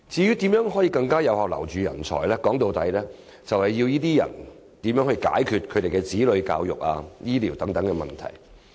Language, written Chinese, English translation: Cantonese, 要更有效留人才，說到底，就是要為他們解決子女教育、醫療等問題。, If we are to do a better job in retaining talents we must help them meet the education needs of their children and solve the problem of medical care